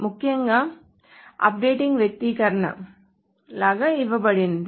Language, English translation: Telugu, Essentially the updating is given like an expression